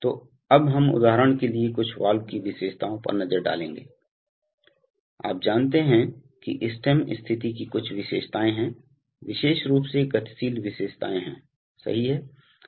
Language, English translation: Hindi, So, now we come to take a look at some valve characteristics for example, you know this, there are certain characteristics of the stem position movement, especially dynamic characteristics right